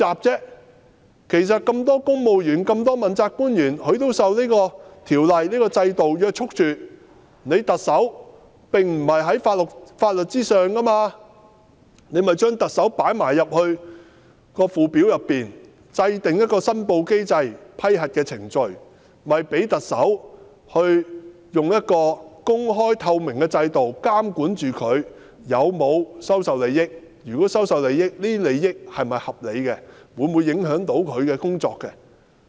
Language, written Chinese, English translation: Cantonese, 既然所有公務員、問責官員均受到《條例》約束，而特首又並非在法律之上，便應該將特首納入《條例》的附表，同時制訂一個申報機制及批核程序，讓特首在公開透明的制度下受到監管，如果他收受利益，這些利益是否合理，會否影響他的工作？, Since all civil servants and accountability officials are governed by the Ordinance and the Chief Executive is not above the law the Chief Executive should naturally be covered by a Schedule to the Ordinance and a mechanism for declaration of interests and approval procedure should be formulated so that the Chief Executive will be regulated under an open and transparent system . In that case we will be able to determine whether any advantage accepted by him is reasonable and whether it will affect his work